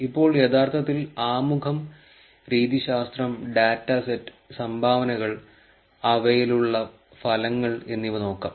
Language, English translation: Malayalam, Now let is look at actually the introduction, methodology, data set, contributions and the results that they have